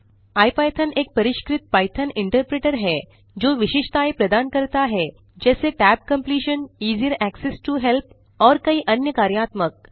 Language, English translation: Hindi, IPython is an enhanced Python interpreter that provides features like tab completion, easier access to help and many other functionalities